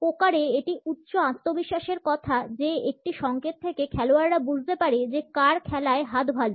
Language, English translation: Bengali, In poker, it is a high confidence tale a signal that the player feels he has a strong hand